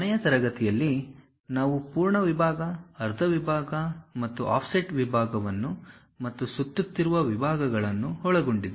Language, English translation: Kannada, In the last class, we have covered full section, half section and offset section and also revolved sections